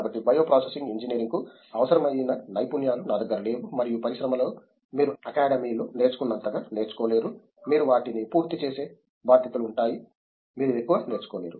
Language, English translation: Telugu, So, I did not have the skills that requisite for bio processing engineering and in the industry you don’t get to learn as much as do in academy, you have responsibilities you finish them you don’t get to learn much